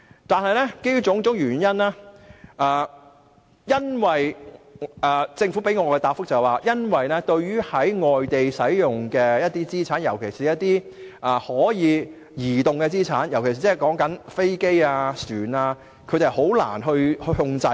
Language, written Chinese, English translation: Cantonese, 但是，政府向我們提供的答覆是，對於在外地使用的資產，特別是可以移動的資產，即是飛機或船隻，政府是難以控制的。, But according to the reply of the Administration it is difficult for the Government to exercise control on assets used outside Hong Kong particularly mobile assets like aircraft or ships